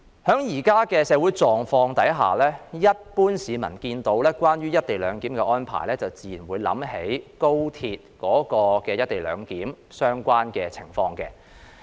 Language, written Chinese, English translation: Cantonese, 在現時的社會狀況下，一般市民一聽到"一地兩檢"安排，便自然會聯想起廣深港高速鐵路的"一地兩檢"安排。, Under the prevailing social circumstances when the general masses hear co - location arrangement they will naturally associate it with the co - location arrangement for the Guangzhou - Shenzhen - Hong Kong Express Rail Link XRL